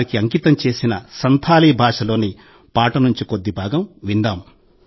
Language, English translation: Telugu, Let us listen to an excerpt from a song dedicated to them in Santhali language –